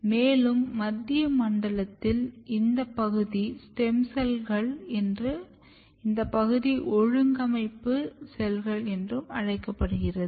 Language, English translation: Tamil, So, as I said that the in the central zone this region is your stem cells and this region is also called organizing cells